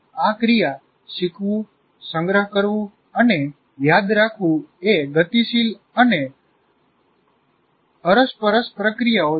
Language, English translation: Gujarati, And these processors, learning, storing and remembering are dynamic and interactive processes